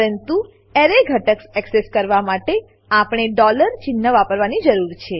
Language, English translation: Gujarati, But, to access an array element we need to use $ sign